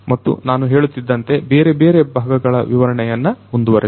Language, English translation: Kannada, And so as I was telling you let us continue you know explaining the different parts